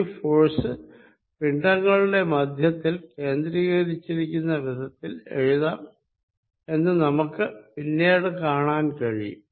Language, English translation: Malayalam, We will see later, that this force can be written as if the two masses are concentrated at their centers